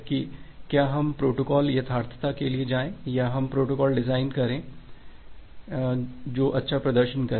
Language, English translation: Hindi, That whether we will go for the protocol correctness or we want to design a protocol which will perform good